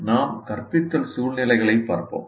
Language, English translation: Tamil, So we look at what we call instructional situations